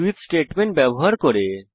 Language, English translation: Bengali, By using switch statement